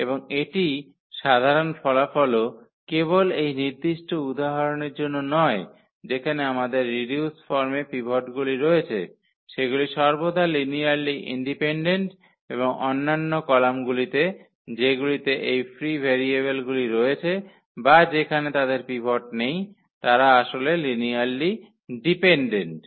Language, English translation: Bengali, And this is the general result also not just for this particular example that the columns which we have the pivots in its reduced form they are linearly independent always and the other columns which have these free variables or where they do not have the pivots, they actually are linearly dependent